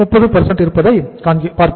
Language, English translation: Tamil, 33 and this is the 30